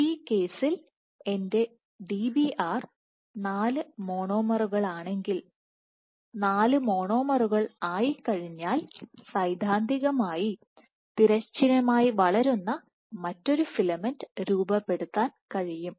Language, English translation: Malayalam, So, if my Dbr in this case is 4 monomers, once I have 4 monomers, I can theoretically form another filament which grows horizontally so on and so forth